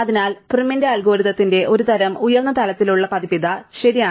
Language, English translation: Malayalam, So, here is a kind of high level version of prim's algorithm, right